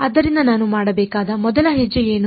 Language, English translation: Kannada, So, what is the first step I should do